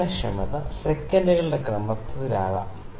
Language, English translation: Malayalam, The sensitivity can be in the of the order of seconds